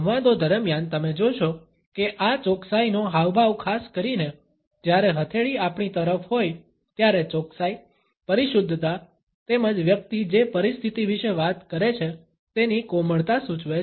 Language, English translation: Gujarati, During the dialogues, you would find that this precision gesture particularly, when the palm is facing towards ourselves suggests accuracy, precision as well as delicacy of the situation about which the person is talking